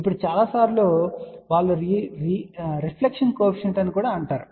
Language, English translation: Telugu, Now, many a times they also say reflection coefficient